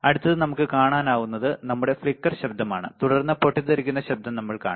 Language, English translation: Malayalam, Let us see next one which is our flicker noise and then we will see burst noise